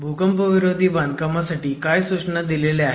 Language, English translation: Marathi, What about earthquake resistant construction guidelines